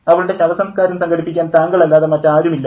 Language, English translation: Malayalam, There is no one but you who will organize her funeral